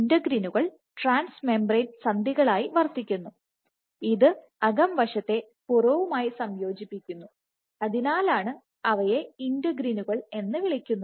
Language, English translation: Malayalam, So, integrins serve as trans membrane links which integrate the inside to the outside, and that is the reason why they are called integrins